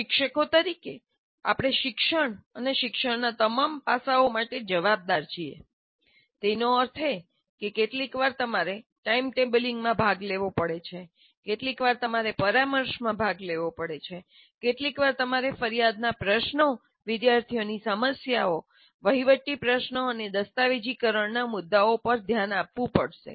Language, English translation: Gujarati, That means you have sometimes you have to participate in timetabling, sometimes you have to participate in counseling, sometimes you have to look at grievance issues, student problem issues and administrative issues and documentation issues